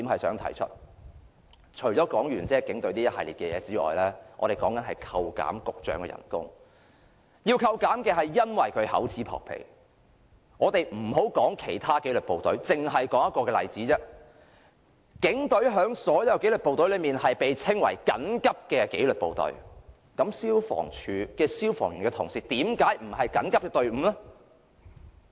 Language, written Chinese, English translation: Cantonese, 說畢警隊這一系列的事件，我們要求扣減局長的薪酬，因為他厚此薄彼，我們暫不談其他紀律部隊，只說一個例子：警隊在所有紀律部隊中被稱為緊急紀律部隊，那消防處的消防員同事為甚麼不是緊急的隊伍呢？, We have talked about a series of incidents in the Police . We seek to reduce the salary of the Secretary because he favours one over another . Let us not talk about the other disciplined services but just look at this example the Police Force is considered an emergency service among all disciplined services so why is it not the case for FSD?